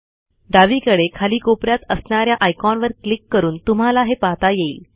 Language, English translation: Marathi, Let us click the icon at the bottom left hand corner